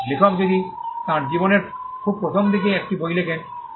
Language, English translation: Bengali, So, if the author writes a book very early in his life